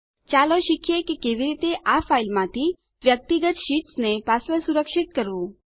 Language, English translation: Gujarati, Lets learn how to password protect the individual sheets from this file